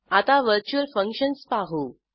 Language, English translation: Marathi, Let us see virtual functions